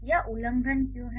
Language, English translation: Hindi, So, why this is a violation